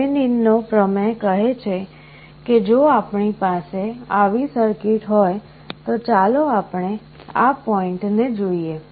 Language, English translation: Gujarati, Thevenin’s theorem says that if we have a circuit like this let us look at this point